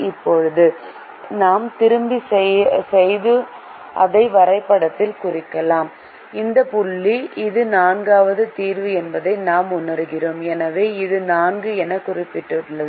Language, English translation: Tamil, now we go back and mark it in the graph and we realize that this point this is the fourth solution, so this is marked as four